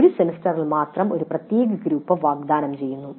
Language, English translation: Malayalam, One particular group is offered during one semester only